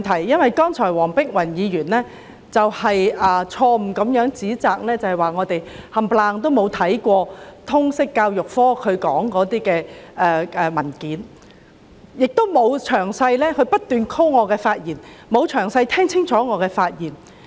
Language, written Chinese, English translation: Cantonese, 主席，剛才黃碧雲議員錯誤地指摘建制派議員全都沒看通識教育科的相關報告，她又不斷引述我的言論，但卻沒有聽清楚我先前的發言。, President just now Dr Helena WONG wrongly accused all pro - establishment Members for failing to read the reports on Liberal Studies . She also quoted me repeatedly without listening clearly to my speech delivered earlier